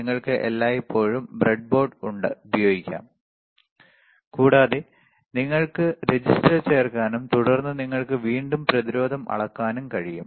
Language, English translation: Malayalam, You can always use the breadboard, and you can insert the register, insert the resistor, and then you can again measure the resistance